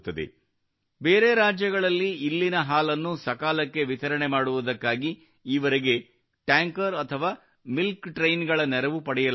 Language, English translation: Kannada, For the timely delivery of milk here to other states, until now the support of tankers or milk trains was availed of